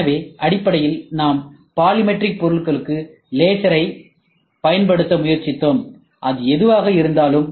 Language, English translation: Tamil, So, basically we were trying to use laser for polymeric materials, whatever it is